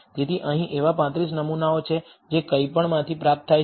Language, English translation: Gujarati, So, here there are 35 samples that are obtained from nothing